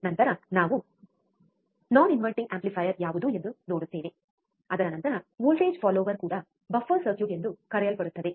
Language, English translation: Kannada, Then we will look at what a non inverting amplifier is, followed by a voltage follower also called buffer circuit